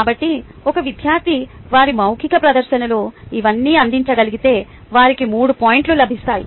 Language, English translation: Telugu, so if a student in their oral presentation could provide all of this, they get three points